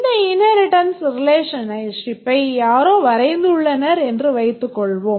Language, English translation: Tamil, Suppose someone has drawn this inheritance relationship